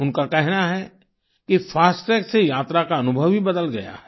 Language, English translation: Hindi, She says that the experience of travel has changed with 'FASTag'